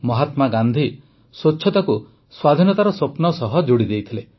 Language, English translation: Odia, Mahatma Gandhi had connected cleanliness to the dream of Independence